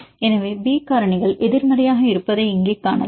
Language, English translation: Tamil, So, here you can see they are having the B factors negative